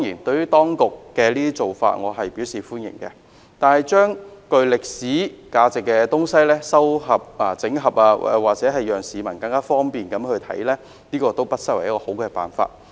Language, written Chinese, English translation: Cantonese, 對於當局的做法，我表示歡迎，把具歷史價值的文物整合，方便市民參觀，不失為一個好辦法。, I welcome these efforts made by the Government in consolidating relics with historical value to facilitate public visits which is considered a good idea